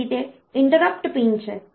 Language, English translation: Gujarati, So, they are the interrupt pins